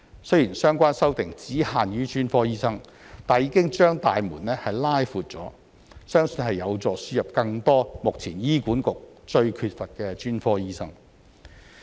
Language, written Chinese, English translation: Cantonese, 雖然相關修正案只限於專科醫生，但已經"把大門拉闊了"，相信有助輸入更多目前醫管局最缺乏的專科醫生。, Although the relevant amendments are limited to specialists the door has been widened; I believe it will help to import more specialists which the Hospital Authority lacks most at present